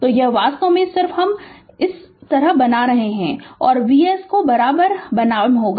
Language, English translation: Hindi, So, this is actually just I am making it like this, and v will be is equal to V s